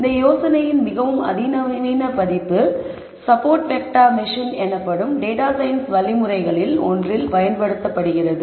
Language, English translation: Tamil, A more sophisticated version of this idea is what is used in one of the data science algorithms called support vector machine